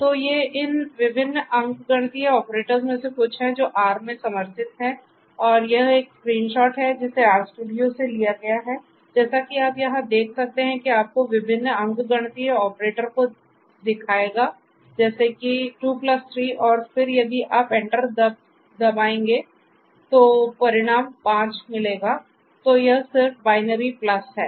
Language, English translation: Hindi, So, these are some of these different arithmetic operators that are supported in R and this is a screen shot that is taken from RStudio as you can see over here it will show you the different arithmetic operators 2 plus 3 and then if you hit enter you will get this result 5 right so this is just a this is just a unary plus or rather not the unary plus, but the binary